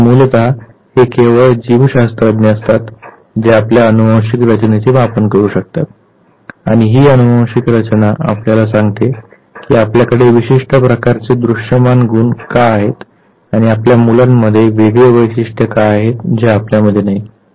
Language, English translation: Marathi, So, basically it is the biologist who maps your genetic makeup and that genetic makeup tells you why are having a particular type visible trait and why your children have a different trait which you do not have